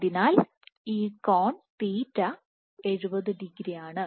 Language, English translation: Malayalam, So, this angle theta (θ) is 70 degrees